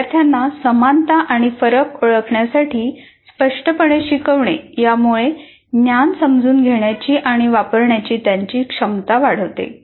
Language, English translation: Marathi, Explicitly teaching students to identify similarities and differences enhances their ability to understand and use knowledge